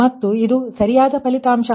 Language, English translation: Kannada, so, correct result